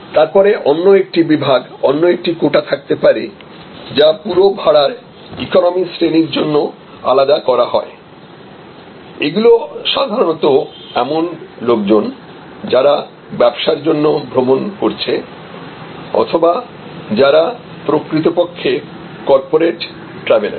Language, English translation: Bengali, Then, there can be another section another quota, which is set aside for a full fare economy again these are usually people who are traveling on business people who are actually on corporate travelers